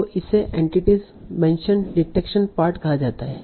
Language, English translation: Hindi, So this is called the entity mentioned detection part